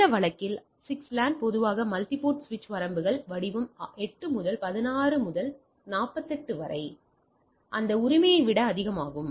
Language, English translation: Tamil, So, in this case 6 LAN a typically multiport switch ranges form say 8 to 16 to 48, even higher than that right